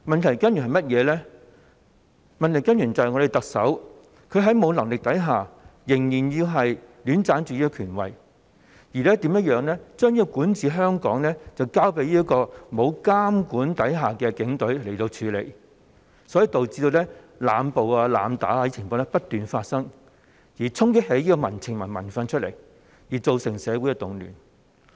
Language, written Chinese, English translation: Cantonese, 就是我們的特首沒有能力，但仍然戀棧權位，把管治香港的工作交給不受監管的警隊處理，導致濫捕、濫打等情況不斷發生，從而激起民情、民憤，造成社會動亂。, It is our Chief Executive who is incompetent but still unwilling to give up her power . She has left the governance of Hong Kong to the unchecked Police Force thus leading to the repeated occurrence of arbitrary arrests and excessive use of force which has stirred up public sentiment and resentment and caused social unrest